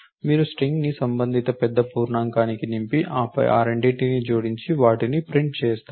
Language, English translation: Telugu, You are suppose to populate the string a corresponding big int a big int b and then perform the, add of the 2 of them and print them